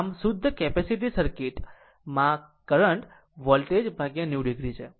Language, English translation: Gujarati, So, in purely capacitive circuit, the current leads the voltage by 90 degree